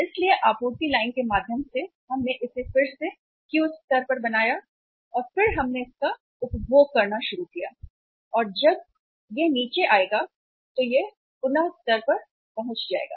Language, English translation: Hindi, So through supply line we again made it back to the Q level and then we started consuming it and when it will come down it will be reaching at the reordering level